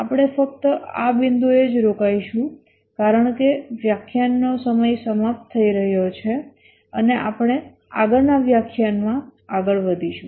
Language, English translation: Gujarati, We will just stop at this point because the lecture hour is getting over and we will continue in the next lecture